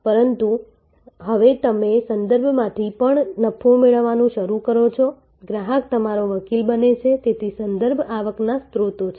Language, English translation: Gujarati, But, now you also start getting profit from references, the customer becomes your advocate, so there are referral revenue sources